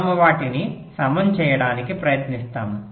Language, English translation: Telugu, in that sense we try to equalize them